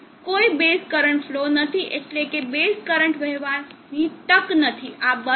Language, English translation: Gujarati, There is no base current flow, chance for base current to flow this will turn off